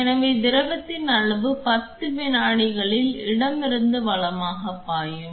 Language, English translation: Tamil, So, the volume of fluid is this which will flow from left to right in 10 seconds